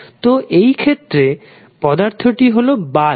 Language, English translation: Bengali, So, in this case the element is light bulb